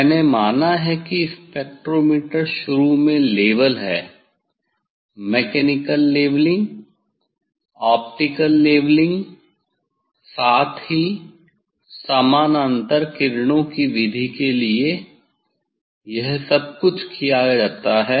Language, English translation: Hindi, I assume that the spectrometer is initially level optically mechanical levelling, optical levelling, as well as the this for parallel range these method that everything is done